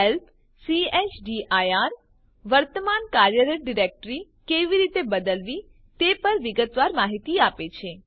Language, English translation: Gujarati, Help chdir gives detailed information on how to change the current working directory